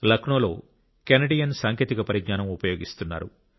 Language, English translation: Telugu, Meanwhile, in Lucknow technology from Canada is being used